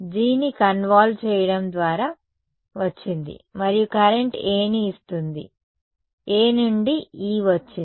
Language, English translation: Telugu, It came by convolving G and the current which gave me A, from A I got E